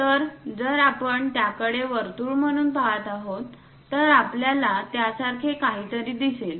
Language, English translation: Marathi, So, if we are looking at it a circle, we will see something like in that way